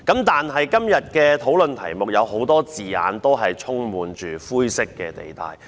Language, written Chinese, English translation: Cantonese, 但是，今天辯論的題目有很多字眼均充滿灰色地帶。, That said the title of the debate today is rife with grey areas